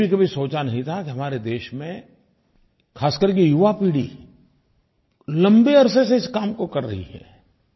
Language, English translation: Hindi, I had never even imagined that in our country especially the young generation has been doing this kind of work from a long time